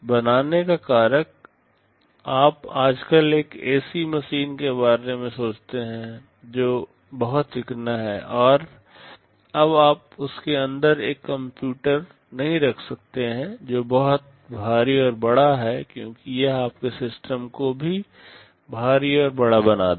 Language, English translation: Hindi, Form factor; you think of an ac machine nowadays that are very sleek, now you cannot afford to have a computer inside which is very bulky and big because that will make your system also bulky and big